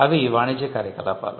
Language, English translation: Telugu, They are commercial activity